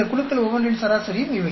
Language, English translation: Tamil, These are average of each one of these groups